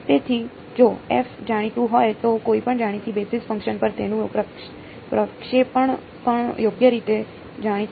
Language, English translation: Gujarati, So, if f is known then its projection on any known basis function is also known right